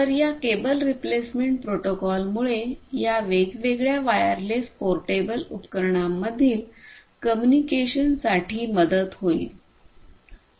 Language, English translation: Marathi, So, this cable replacement protocol we will help for communicating between these different wireless you know portable devices and so on